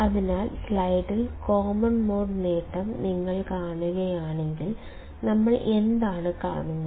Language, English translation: Malayalam, So, if you see common mode gain on the slide; what we see